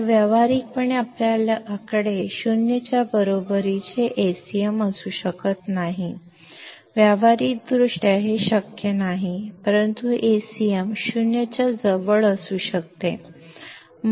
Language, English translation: Marathi, So, practically we cannot have Acm equal to 0; practically this is not possible, but Acm can be close to 0